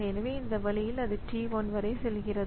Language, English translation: Tamil, So, that way it goes on going up to t 1